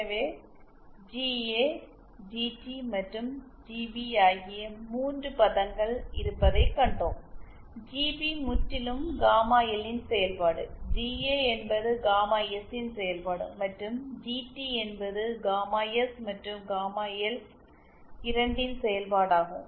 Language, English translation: Tamil, So we saw that we have 3 terms GA GT GA and GP we saw that GP is purely a function of gamma L GA is purely a function of gamma S and GT is function of both gamma S and gamma L